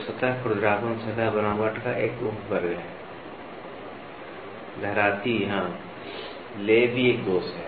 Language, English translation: Hindi, So, surface roughness is a subset of surface texture, waviness yes, lay is also a flaw is also